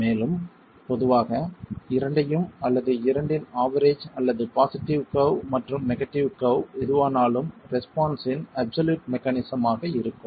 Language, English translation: Tamil, And typically we look at either both or an average of the two or the positive curve and the negative curve, whichever is the absolute maximum of the response itself